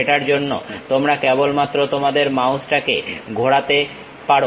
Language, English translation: Bengali, For that you just move rotate your mouse